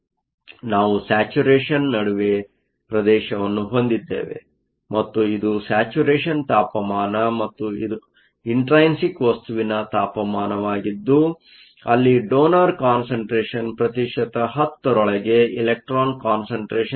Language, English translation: Kannada, So, We have a regime between saturation and this is your saturation temperature and the intrinsic temperature where the concentration of electrons is within 10 percent of the donor concentration